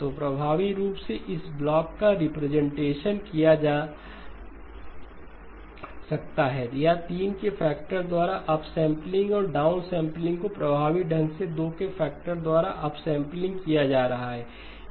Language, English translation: Hindi, So effectively this block can be represented or the upsampling and downsampling by a factor of 3 is effectively upsampling by a factor of 2